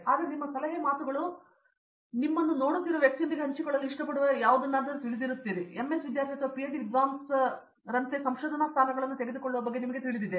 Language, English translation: Kannada, So what are your words of advice or you know any anything that you would like share with a person who is probably watching us and is considering you know taking up research position in and as a MS student or a PhD scholar